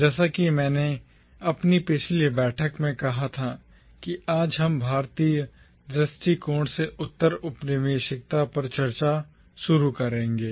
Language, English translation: Hindi, As I said in our previous meeting, that today we will start discussing postcolonialism from the Indian perspective